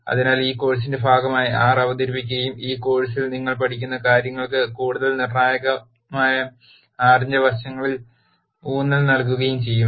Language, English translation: Malayalam, So, as part of this course R will also be introduced and the emphasis here will be on the aspects of R that are more critical for what you learn in this course